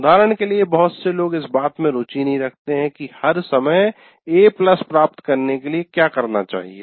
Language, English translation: Hindi, For example, many people, they are not interested in what you to get a A plus all the time